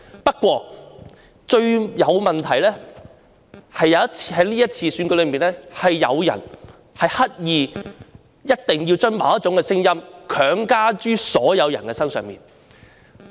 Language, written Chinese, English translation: Cantonese, 不過，這次選舉最大的問題，是有人刻意將某種聲音強加於所有人身上。, Nevertheless the greatest problem with this election is that some people deliberately impose a particular view on everyone